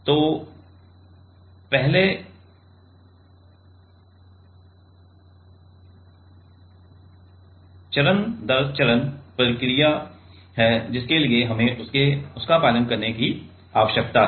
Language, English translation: Hindi, So, first there is step by step process we need to follow for that